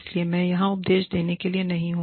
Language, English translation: Hindi, So, i am not here to preach